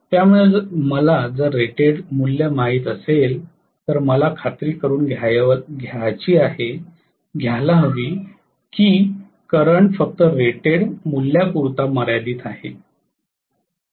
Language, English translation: Marathi, So if I know the rated value, I have to make sure that the current is limited to the rated value nothing more than that